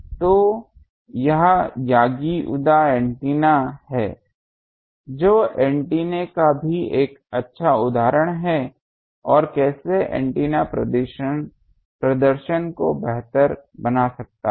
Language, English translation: Hindi, So, that is Yagi Uda antenna that also is an good example of antenna, that how array antenna can improve the performance